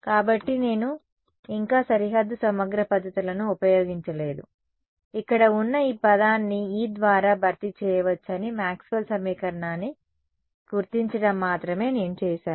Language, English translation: Telugu, So, far I have not yet invoked boundary integral methods, all I did was to recognize Maxwell’s equation saying that this term over here can be replaced by E